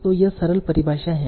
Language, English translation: Hindi, So here are the simple definitions